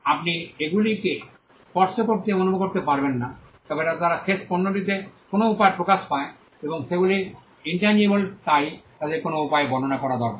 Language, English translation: Bengali, You cannot touch and feel them, but they manifest in the end product in some way and because they are intangible, they need to be described by some means